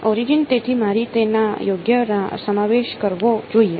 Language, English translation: Gujarati, Origin so I should include it right